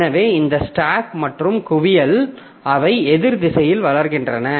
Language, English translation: Tamil, So, the stack and hip they grow in the opposite direction